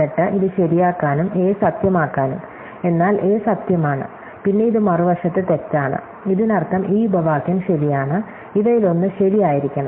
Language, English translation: Malayalam, Then, in order to make this true and must make a true, but a is true, then this is false on the other side, so that means that this clauses is true, one of these has true